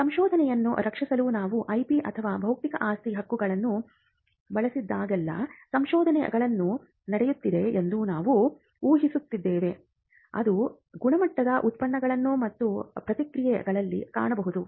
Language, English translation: Kannada, So, when whenever we use IP or Intellectual Property Rights IPR as a short form for protecting research, we are assuming that there is research that is happening which can result in quality products and processes that emanate from the research